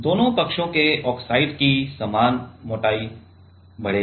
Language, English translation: Hindi, The oxide both the sides same thickness of oxide will grow